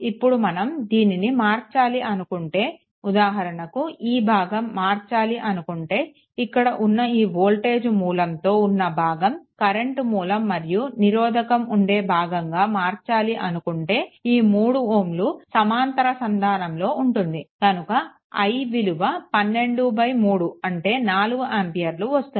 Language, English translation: Telugu, Now, if we if we want to convert it to the your suppose for example, this portion, this portion, if you want to convert it into the your current source and the resistance, this 3 ohm will be parallel then to a i is equal to 12 by 3 that is equal to 4 ampere right